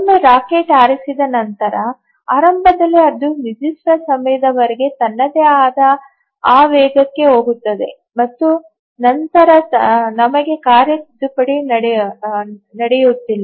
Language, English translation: Kannada, So, once the rocket is fired, initially it goes on its own momentum for certain time and then we don't have a task correction taking place